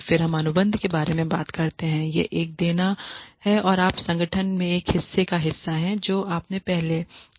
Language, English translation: Hindi, Then we talk about contract it is a give and take, you are a part of the organization based on what you have done earlier